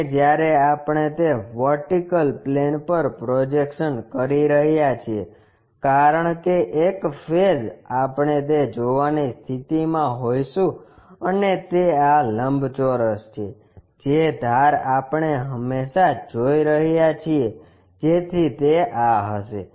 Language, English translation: Gujarati, And, when we are projecting onto that vertical plane, because one of the face we will be in a position to see that and that is this rectangle, the edge we always be seeing so that will be this one